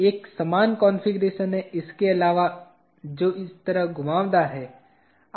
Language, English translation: Hindi, Same configuration, except this is now curved like this